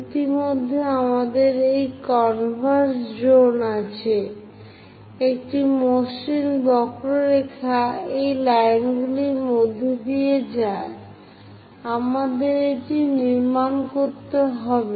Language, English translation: Bengali, So, already we have that converse zone; a smooth curve pass through these lines, we have to construct